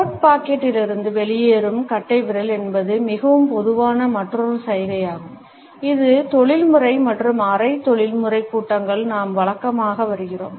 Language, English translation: Tamil, Thumbs protruding from coat pocket is another very common gesture, which we routinely come across in professional as well as in semi professional gatherings